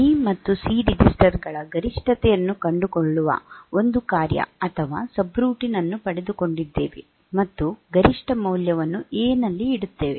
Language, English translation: Kannada, We have got a we have we write a function or subroutine that finds the maximum of say B and C registers, and puts the maximum puts the value in A